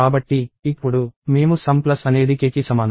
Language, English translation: Telugu, So, now, we add sum plus equal to k